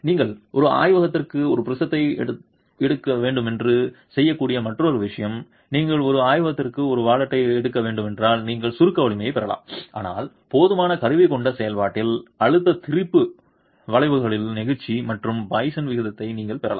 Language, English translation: Tamil, The other thing that can be done is if you were to take a prism to a laboratory, if you were to take a wallet to a laboratory, you can get the compressive strength but in the process with enough instrumentation you can also get the modulus of elasticity and poisons ratio from the stress strain curves